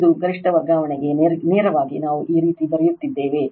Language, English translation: Kannada, This is this is for maximum transfer straight forward we are writing like this right